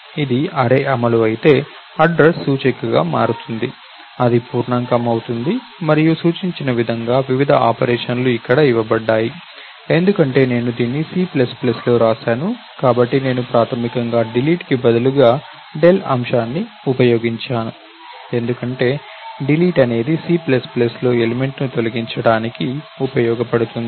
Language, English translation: Telugu, If it is an array implementation, address becomes an index, it becomes an integer and the various operations are given over here as indicated, because I have written this in C++ I have used dell item instead of delete primarily, because delete is used for specifically deleting an element in C++